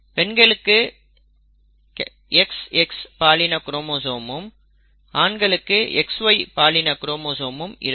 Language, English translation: Tamil, The female has an XX sex chromosome occurrence and the male has a XY sex chromosome occurrence